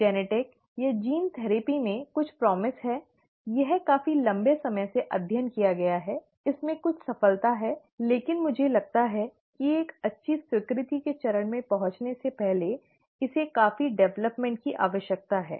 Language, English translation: Hindi, Genetic, or gene therapy has some promise, it is , it has been studied for quite a long time; it has had a few successes, but I think it needs quite a bit of development before it gets to a good acceptance stage